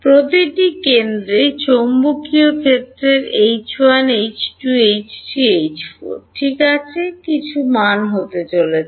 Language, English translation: Bengali, At each centre there is going to be some value of magnetic field H 1 H 2 H 3 H 4 ok